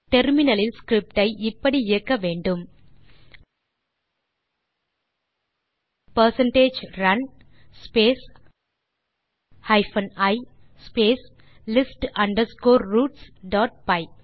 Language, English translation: Tamil, In the terminal run the script as percentage run space hyphen i space list underscore roots dot py